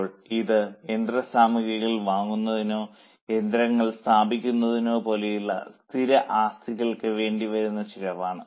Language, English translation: Malayalam, Now this is a cost incurred on fixed assets like purchase of machinery or like installation of machinery